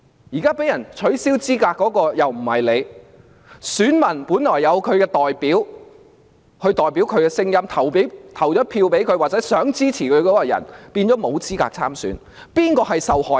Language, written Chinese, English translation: Cantonese, 現在遭取消資格的又不是他，而選民本來可以選出代表自己的聲音，但他們想投票支持的人卻沒有資格參選，誰才是受害人？, He is not the one who has been disqualified now . While electors originally could vote for those who could speak for them their favoured candidates are now disqualified from contesting . Who is the victim then?